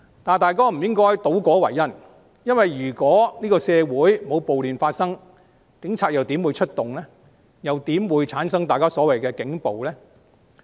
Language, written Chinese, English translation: Cantonese, 大家不應該倒果為因，如果社會沒有暴亂發生，警察又怎會出動，又怎會產生大家所謂的警暴呢？, Members should not present the outcome as the cause . If no riot occurs in society how will the Police take actions and how will there be the so - called police brutality?